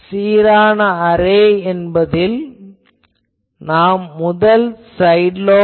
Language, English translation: Tamil, Actually, in an uniform array, we have seen the 1st side lobe level